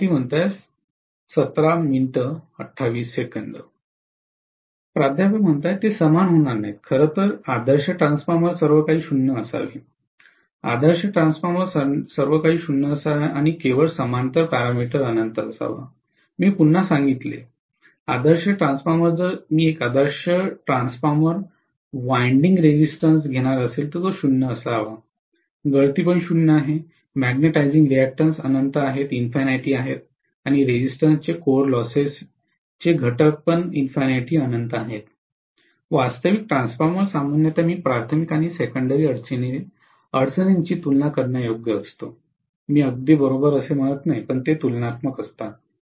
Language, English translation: Marathi, (()) (17:28) They will not be equal, in fact ideal transformer everything should to be 0, ideal transformer everything should be 0 and only the parallel parameter should be infinity, I reiterated, ideal transformer, so if I am going to have an ideal transformer winding resistance of 0, leakages are 0, magnetizing reactants is infinity and core loss components of resistance is infinity, actual transformer generally I am going to have the primary and secondary impedances comparable, I am not saying exactly equal, they are comparable